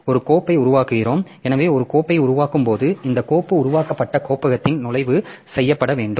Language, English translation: Tamil, So, when we create a file then the entry has to be made in the directory that this file has been created